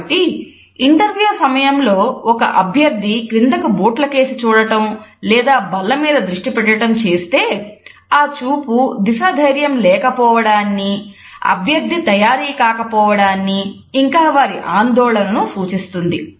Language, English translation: Telugu, So, if a candidate during an interview looks down at the shoes or focus is on the table, then these type of gaze directions convey a lack of confidence less prepared candidate as well as a nervousness on his or her part